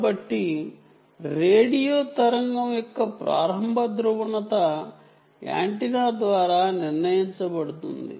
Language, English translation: Telugu, so initial polarization of a radio wave is determined by the antenna